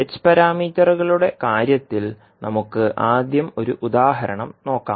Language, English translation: Malayalam, Let us take first the example in case of h parameters